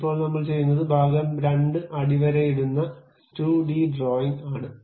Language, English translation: Malayalam, Now, what I will do is part 2 underscore 2 d drawing